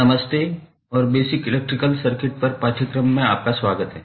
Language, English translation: Hindi, Hello and welcome to the course on basic electrical circuits